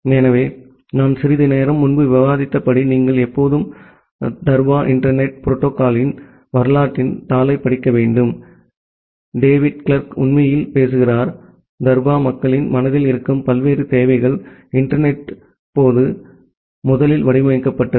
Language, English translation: Tamil, So, as I have discussed some time back that, you should always read the paper of the history of DARPA internet protocol by, David Clark which actually talks about, the different requirements which where there in the mind of the DARPA people, when the internet was first designed